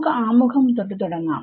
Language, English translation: Malayalam, So, let us start with introduction